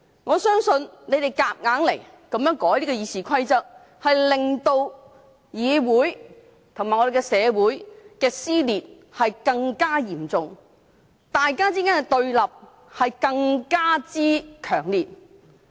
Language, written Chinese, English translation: Cantonese, 我相信他們硬要修改《議事規則》，將令議會及社會的撕裂更嚴重，彼此對立更強烈。, In my opinion their attempt to forcibly amend RoP will only intensify the division and opposition in the Council and in society